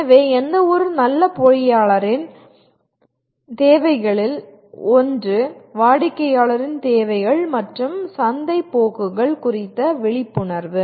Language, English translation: Tamil, So the one of the requirements of any good engineer is that awareness of customer’s needs and market trends